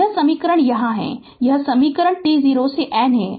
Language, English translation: Hindi, So, this equation is here, this is this equation right t 0 to n